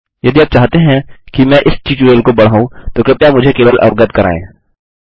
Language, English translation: Hindi, If you want me to expand this tutorial please just let me know